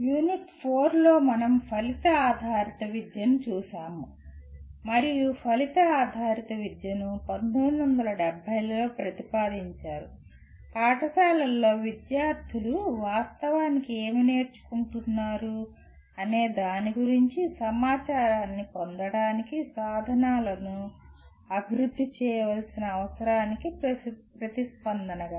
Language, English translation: Telugu, In Unit 4, we looked at Outcome Based Education and outcome based education was proposed in 1970s in response to the need to develop instruments to obtain information about what the students are actually learning across schools